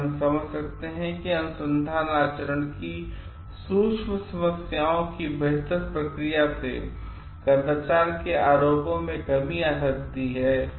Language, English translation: Hindi, So, we can understand that better responses to subtler problems of research conduct can reduce the incidence of misconduct charges